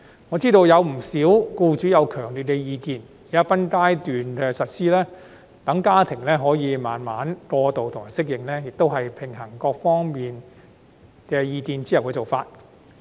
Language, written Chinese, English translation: Cantonese, 我知悉不少僱主有強烈意見，現在分階段實施，讓家庭可以慢慢過渡和適應，也是平衡各方意見後提出的方案。, I am aware that many employers have strong views on this issue . The current proposal to increase the number of SHs in phases which allows the families to undergo transition and adapt to the changes gradually is one that has balanced the views of various parties